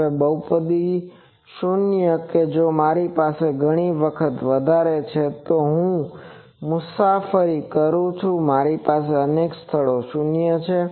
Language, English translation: Gujarati, Now, 0s of the polynomial that if I have more than more times I travel it so, I have multiple 0s at places